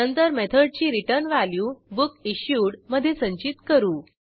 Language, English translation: Marathi, We then store the returned value of the method in bookIssued